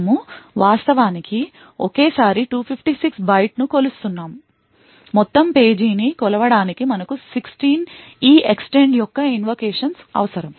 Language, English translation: Telugu, Since we are actually measuring 256 bytes at a time so therefore, we have 16 invocations of EEXTEND needed to measure the whole page